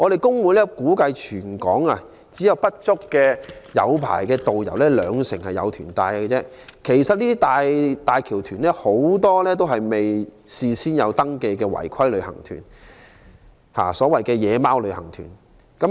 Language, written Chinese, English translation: Cantonese, 工會估計，全港只有不足兩成港珠澳大橋旅行團有持牌導遊帶團；很多"大橋團"都是未有登記的違規旅行團，即所謂"野馬"旅行團。, According to the estimation of trade unions less than 20 % of the HZMB tour groups have engaged licensed tourist guides; many of these tour groups are unauthorized and have failed to register as required